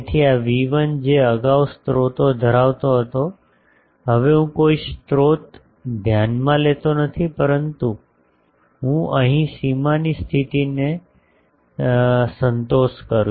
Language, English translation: Gujarati, So, these V1 which was earlier containing sources, now I do not consider any sources, but I satisfies the boundary condition here